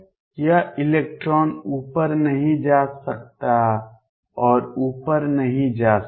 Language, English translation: Hindi, This electron cannot move up cannot move up